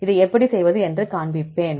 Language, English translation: Tamil, I will show you how to do this